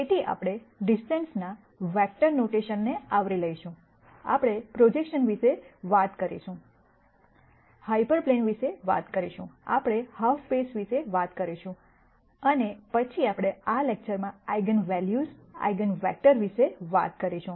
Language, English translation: Gujarati, So, we will cover vectors notion of distance, we will talk about projections, we will talk about hyper planes, we will talk about half spaces and then we will talk about Eigenvalues and eigenvectors in this lecture